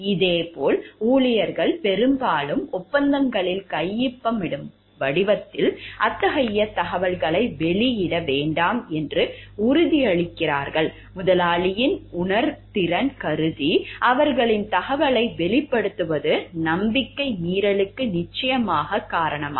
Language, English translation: Tamil, Similarly, employees often make promises in the form of signing contracts not to divulge such an information, considering sensitive by the employer, revealing their information would surely account for the breach of trust